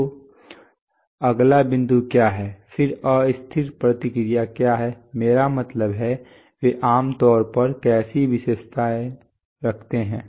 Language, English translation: Hindi, So what is the next point, then what is the unstable response, I mean how do you, how they are typically characterized